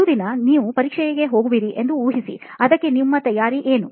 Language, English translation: Kannada, Imagine you have an exam coming up the next day, but what would be your preparation for it